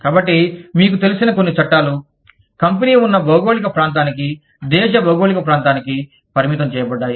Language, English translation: Telugu, So, we have, you know, some laws are restricted, to the geographical region, that the country geographical region, that the company is in